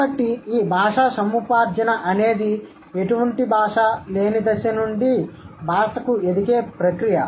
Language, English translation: Telugu, So, this language acquisition, which is a process of going from no language to language, right